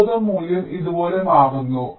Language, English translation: Malayalam, so the resistance value changes like this